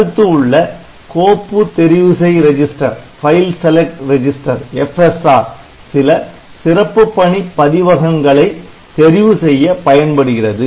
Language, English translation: Tamil, So, file select register will be using the special function registers for this purpose